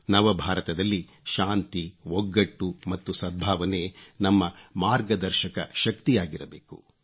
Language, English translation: Kannada, New India will be a place where peace, unity and amity will be our guiding force